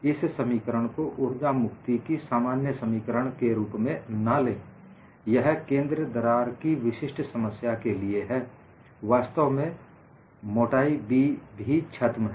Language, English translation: Hindi, Do not take this as the generic expression of energy release rate; this is for a specific problem of a center crack; In fact, the thickness b is also hidden